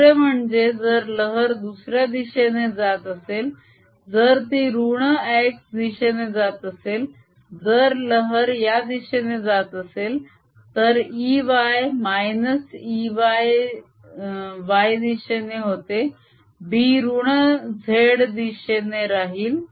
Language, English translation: Marathi, if the wave was propagating this way, then if e, y, e was in the y direction, b would be in the negative z direction